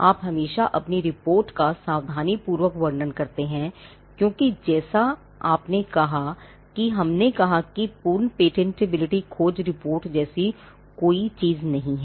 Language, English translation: Hindi, You always cautiously describe your report, because you as we said there is no such thing as a perfect patentability search report